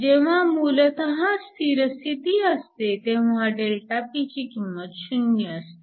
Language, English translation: Marathi, When we basically have steady state, ΔP is 0, so dPdt is 0 at steady state